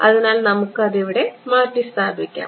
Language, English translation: Malayalam, So, we will just substitute over here